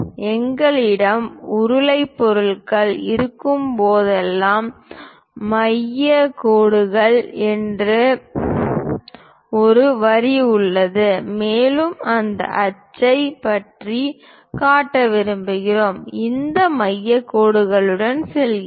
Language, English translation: Tamil, There is one more line called center line whenever we have cylindrical objects and we would like to show about that axis, we go with these center lines